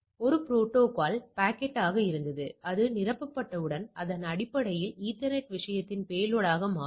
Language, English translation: Tamil, So, this was my protocol packet, what we get that once it is filled up, it filled a it is basically become a payload of the ethernet thing